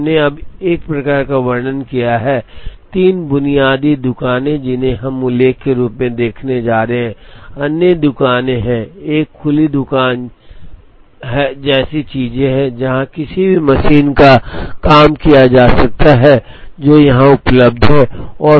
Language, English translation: Hindi, So, we have now kind of described, the three basic shops that, we are going to see as mentioned, there are other shops, there are things like an open shop where, a job can be done on any machine, that is available here